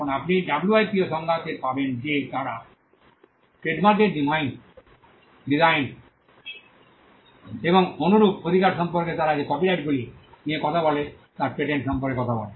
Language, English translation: Bengali, Now you will find in the WIPOs definition that they talk about patents they talk about copyrights they talk about trademarks designs and similar rights